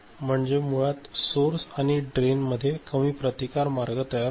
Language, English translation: Marathi, So, basically source and drain there is a veryy low resistance path